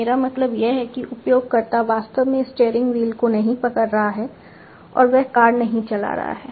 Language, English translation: Hindi, I mean not actually holding the user is not actually holding the steering wheel and he is not driving the car